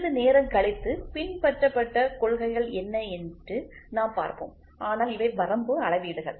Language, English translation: Tamil, We will say what are the principles followed a little later, but these are the limit gauges